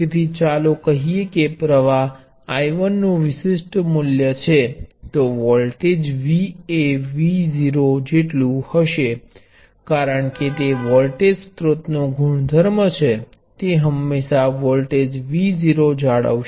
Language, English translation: Gujarati, So, let say the current I is a particular value of I 1 then the voltage V will be equal to V naught because that is the property of the voltage source, it will always maintain a voltage V naught